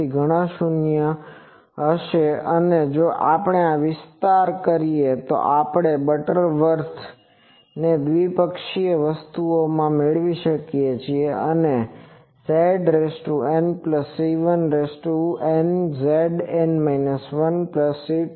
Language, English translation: Gujarati, So, many 0s and if we expand these then we get that Butterworth in binomial thing so, it becomes Z N plus Z N minus 1 plus N C 2 Z N minus 2 etc